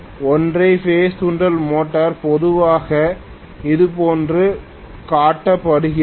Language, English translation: Tamil, The single phase induction motor normally is shown somewhat like this